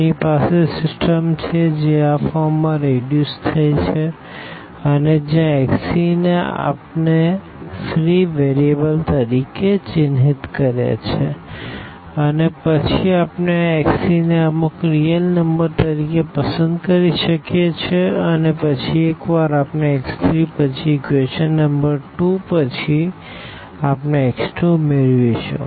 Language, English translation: Gujarati, We have our system which is reduced in this form and where x 3 we have denoted as marked as free variable and then we can choose this x 3 some alpha alpha as a real number and then once we have x 3 then from equation number 2, we will get x 2 because these are the dependent variables now